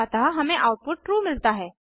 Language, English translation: Hindi, So, we get the output as true